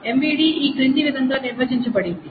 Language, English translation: Telugu, It is defined in the following way